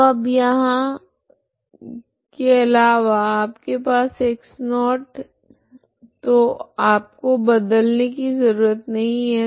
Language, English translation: Hindi, So nowhere else you have x not so you do not need to replace